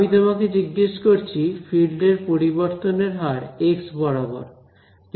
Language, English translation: Bengali, I am asking you rate of change of the field along x